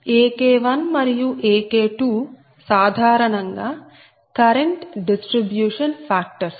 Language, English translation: Telugu, so ak one and ak two, generally it make it as a current distribution factors